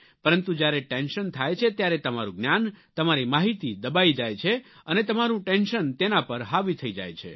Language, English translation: Gujarati, But when there is tension, your knowledge, your wisdom, your information all these buckle under and the tension rides over you